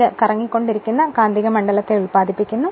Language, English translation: Malayalam, And the moving magnet is replaced by a rotating magnetic field right